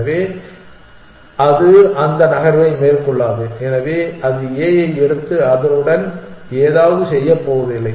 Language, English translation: Tamil, So, it will not make that move, so it is not going to pick up A and do something with it